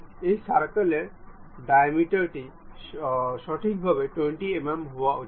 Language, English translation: Bengali, This circle dimension supposed to be correct 20 mm in diameter